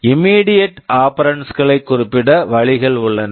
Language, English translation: Tamil, There are ways of specifying immediate operands